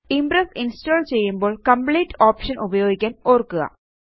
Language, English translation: Malayalam, Remember, when installing, use theComplete option to install Impress